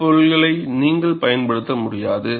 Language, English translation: Tamil, You cannot use this component at all